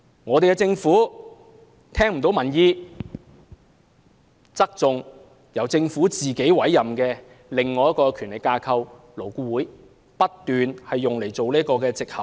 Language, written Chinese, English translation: Cantonese, 我們的政府沒有聽取民意，偏袒由政府委任的另一個權力架構，即勞工顧問委員會，不斷以它作為藉口。, Our Government has not listened to public opinion and favours another Government - appointed body ie . the Labour Advisory Board which has been continuously used as an excuse